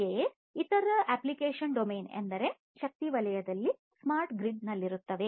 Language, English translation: Kannada, So, likewise other application domain would be in the energy sector, in the smart grid